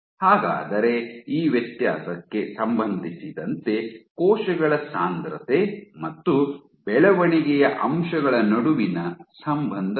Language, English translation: Kannada, But cell density, what is the correlation between cell density and growth factors in relation to this differentiation